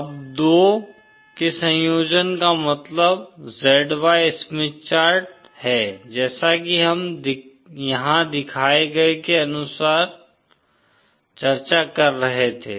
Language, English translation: Hindi, Now, a combination of the 2 means Z Y Smith chart as we were discussing as shown here